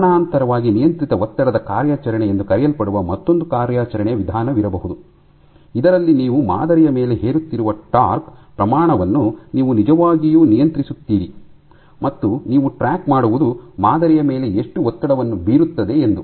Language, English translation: Kannada, Parallely there can be another mode of operation called a controlled stressed operation, in which you actually control the amount of torque you are imposing on the sample, and what you track is how much strain does it impose on the sample